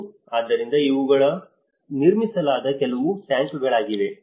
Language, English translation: Kannada, And so, these are some of the tanks which have been constructed